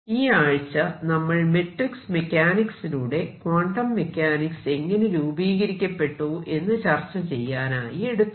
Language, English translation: Malayalam, And this week has been devoted to the formal development of quantum mechanics in terms of matrix mechanics